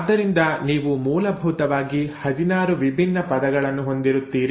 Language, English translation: Kannada, So you essentially, will have 16 different words